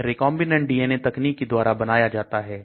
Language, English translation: Hindi, It produced by recombinant DNA technology